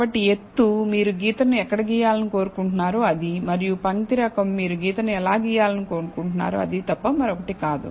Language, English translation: Telugu, So, height is at which you want the line to be drawn and line type is nothing but how you want the line to be drawn